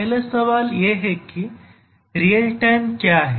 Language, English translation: Hindi, So, the first question is that what is real time